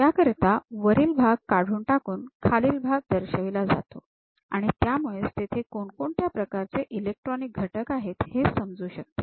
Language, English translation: Marathi, So, the top part will be removed and bottom part can be visualized, so that we will understand what kind of electronic components are present